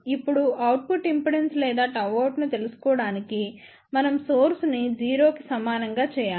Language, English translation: Telugu, Now in order to find out the output impedance or gamma out, we must make source equal to 0